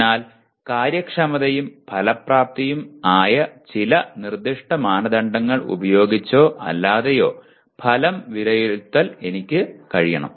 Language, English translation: Malayalam, So I must be able to evaluate the outcome using or rather against some specific criteria which are efficiency and effectiveness